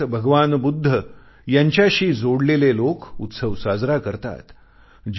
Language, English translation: Marathi, Followers of Lord Budha across the world celebrate the festival